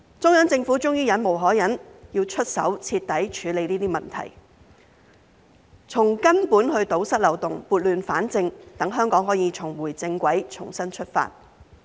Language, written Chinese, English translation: Cantonese, 中央政府終於忍無可忍，出手徹底處理這些問題，從根本堵塞漏洞，撥亂反正，讓香港可以重回正軌，重新出發。, The Central Government has finally come to the end of its patience and taken action to deal with these problems thoroughly addressing the root causes by plugging the loopholes and setting things right so that Hong Kong can get back on the right track and start afresh